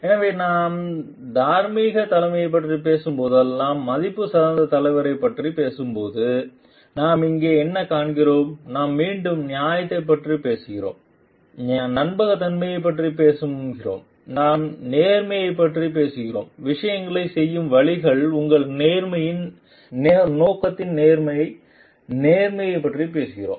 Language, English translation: Tamil, So, what we find over here like when you are talking of the value oriented leader whenever we are talking of a moral leadership we are talking of again fairness we are talking of authenticity we are talking of integrity, honesty in your purpose in a ways of doing things